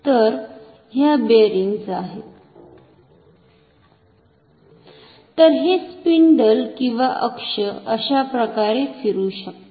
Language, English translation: Marathi, So, this spindle or the axis can rotate like this